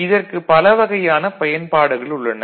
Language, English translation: Tamil, It has got many different uses